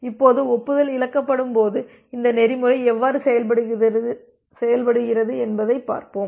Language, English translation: Tamil, Now, let us see that how this protocol works when the acknowledgement is lost